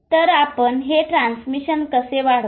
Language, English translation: Marathi, , how do you increase the transmission